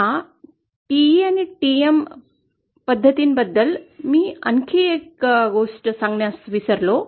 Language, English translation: Marathi, One other thing I forgot to tell you about this TE and TM modes